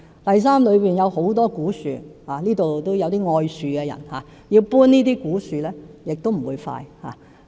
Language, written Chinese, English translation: Cantonese, 第三，那裏有很多古樹——會議廳中也有些愛樹的人——要遷移這些古樹，亦不會快。, Thirdly there are many old trees on the site―there are tree lovers in the Chamber―so relocation of such old trees is necessary and thus it will not be quick neither